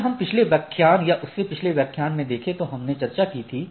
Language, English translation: Hindi, And if we look at that a previous lecture or previous to previous lecture we discussed